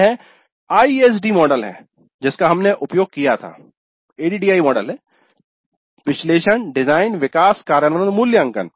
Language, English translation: Hindi, This is the ISD model that we have used at a model, analysis, design, develop and implement and evaluate